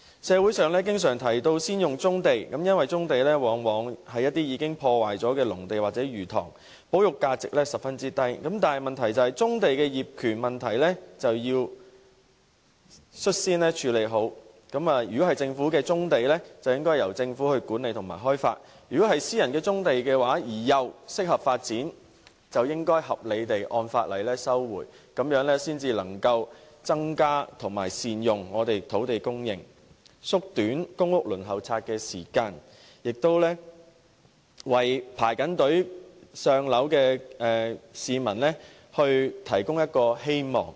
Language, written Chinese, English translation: Cantonese, 社會上經常提到先發展棕地，因為棕地往往是一些已破壞的農地或魚塘，保育價值十分低，但棕地的業權問題就要率先妥善處理，如果棕地屬於政府，便應由政府管理和開發；如果是私人的棕地而又適合發展的，就應合理地按法例收回，這樣才能增加並善用土地供應，縮短公屋輪候時間，為在輪候冊等候"上樓"的市民提供希望。, It is often suggested in society that brownfield sites should be developed first as these sites are mostly derelict agricultural lands or fish ponds with little conservation value . But the ownership of brownfield sites has to be properly handled first before development can take place . If the sites belong to the Government they should be managed and developed by the Government